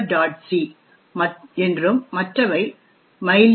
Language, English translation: Tamil, c and the other one is known as mylib